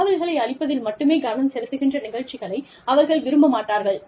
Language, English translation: Tamil, They do not like programs, that are focused on, just provision of information